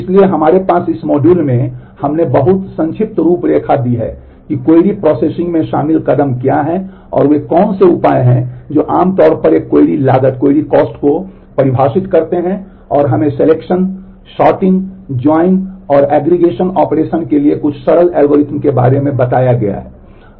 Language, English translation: Hindi, So, we have in this module we have just given a very brief outline of what is what are the steps involved in query processing and what are the measures that define a query cost typically and we have been talked about some of the simple algorithms for selection, sorting, join and aggregation operations